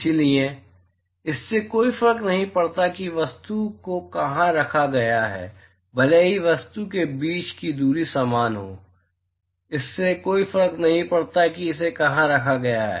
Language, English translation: Hindi, So, it does matter where the object is placed even though the distance between the object is the same it does matter where it is placed